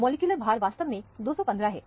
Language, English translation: Hindi, The molecular weight is actually 215